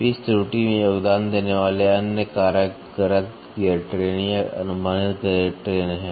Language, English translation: Hindi, Other factors contributing to the pitch error are an inaccurate gear train or an approximate gear train